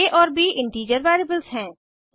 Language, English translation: Hindi, a and b are the integer variables